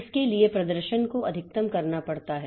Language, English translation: Hindi, So, that performance has to be maximized